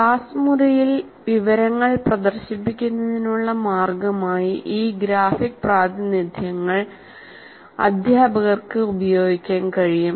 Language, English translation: Malayalam, These graphic representations can be used by teachers as a means to display information in the classroom